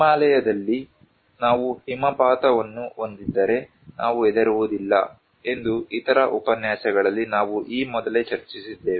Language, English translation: Kannada, Like we discussed before in other lectures that if we have avalanches in Himalayas we do not care